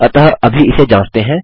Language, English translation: Hindi, So lets just test this